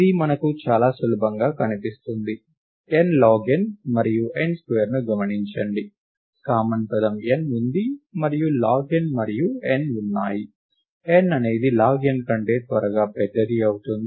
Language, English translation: Telugu, This is very easily visible to us; observe that n log n and n square; the common term is n and log n and n; n is exponentially larger than log n